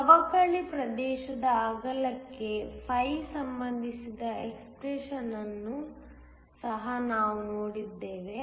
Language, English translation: Kannada, We also saw an expression relating φ to the width of the depletion region